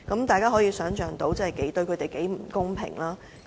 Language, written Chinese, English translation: Cantonese, 大家可以想象，這對他們很不公平。, Members can imagine how unfair it is to them